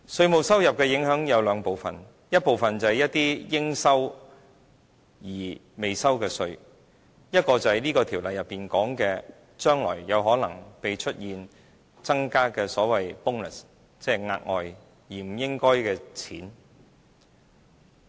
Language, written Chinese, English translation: Cantonese, 稅務收入的影響有兩部分：一部分是一些應收而未收的稅，另一部分是《條例草案》內所指將來有可能增加的所謂 "bonus"， 即額外而不應該賺的錢。, Tax yield comprises two parts . The first is the tax payable but not yet paid and another is the bonus predicted by the Bill to be payable in the future which means the extra amount of future tax revenue